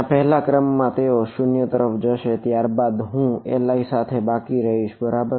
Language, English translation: Gujarati, There first order they will go to 0 and then I will be left with L i’s right